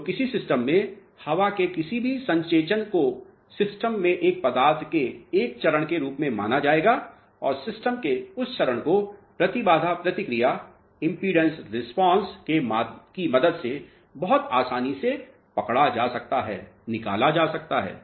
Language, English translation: Hindi, So, any impregnation of air in a system will be treated as a phase of a material into the system and that phase of the system can be captured with the help of impedance response very easily